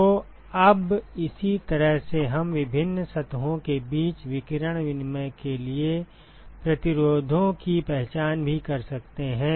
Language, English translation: Hindi, So, now, in a similar way we could also identify resistances for radiation exchange between different surfaces ok